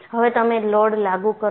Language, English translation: Gujarati, So, you have, load is applied